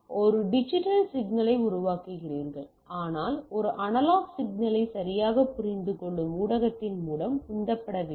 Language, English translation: Tamil, So, you a generating a digital signal, but need to be pumped through a media which understands a analog signal right